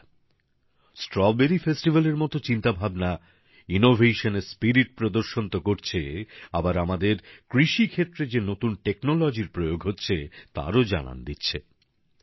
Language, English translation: Bengali, experiments like the Strawberry Festival not only demonstrate the spirit of Innovation ; they also demonstrate the manner in which the agricultural sector of our country is adopting new technologies